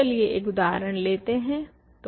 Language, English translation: Hindi, So, let us look at an example